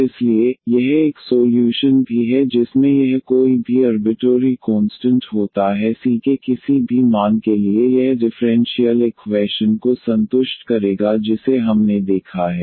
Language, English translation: Hindi, And therefore, this is a solution also this contains one this arbitrary constant this c for any value of c this will satisfy the differential equation which we have observed